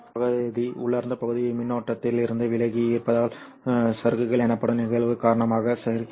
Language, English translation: Tamil, This region wherein the intrinsic region is there, much of the current happens because of the phenomenon called as drift